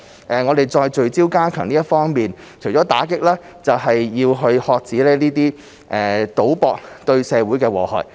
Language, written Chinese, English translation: Cantonese, 除了聚焦加強打擊非法賭博，還要遏止賭博對社會的禍害。, Apart from focusing on stepping up our efforts in combating illegal gambling we must also prevent gambling from causing harm to society